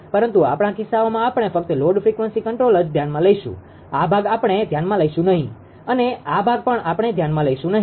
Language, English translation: Gujarati, So, but our cases is we will only consider that load frequency control will cannot consider this part will not consider this part